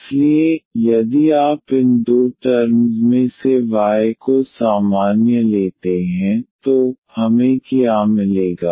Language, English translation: Hindi, So, if you take y square common out of these two terms, so, what we will get